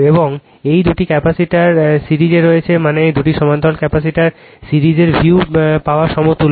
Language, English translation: Bengali, And these two capacitor are in series means it is equivalent to the view obtain the resistance series in parallel